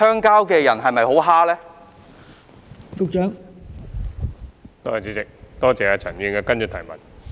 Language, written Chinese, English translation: Cantonese, 代理主席，多謝陳議員的補充質詢。, Deputy President I would like to thank Mr CHAN for his supplementary question